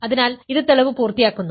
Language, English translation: Malayalam, So, this completes the proof